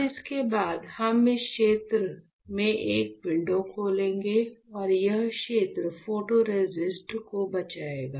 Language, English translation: Hindi, Now, after this we will open a window only in this region and this region will save the photoresist ok